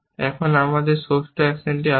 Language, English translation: Bengali, Now, we have the sixth action coming out